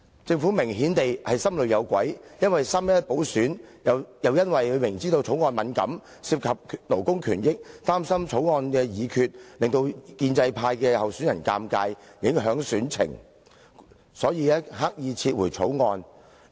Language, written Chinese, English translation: Cantonese, 政府明顯是心裏有鬼，因為"三一一"補選，又因為政府明知《條例草案》敏感，涉及勞工權益，擔心《條例草案》的議決，會令建制派候選人尷尬而影響選情，所以，政府刻意撤回《條例草案》。, In view of the by - election on 11 March the Government understood that the Bill which concerned labour rights would be a sensitive subject . As the Government was worried that deliberation on the Bill would embarrass the pro - establishment candidate and affect his chances of winning it deliberately withdrew the Bill